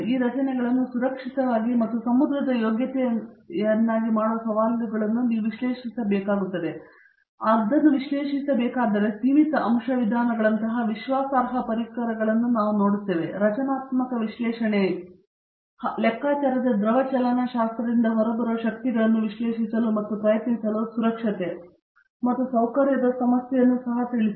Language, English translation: Kannada, The challenges of making this structures safe and sea worthy means you have to analyse it, you see today what we have trusted tools like finite element methods, for the structural analysis computational fluid dynamics for analysing the forces that are coming out of it and trying to address the problem of safety and comfort also